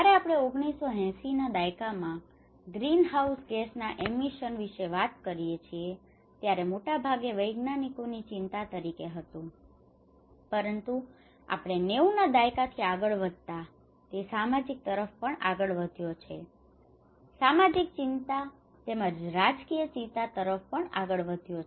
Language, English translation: Gujarati, When we talk about the greenhouse gas emissions in the 1980’s, it was mostly as a scientist concerns, but as we moved on from 90’s, it has also moved towards the social; the social concern as well and the political concern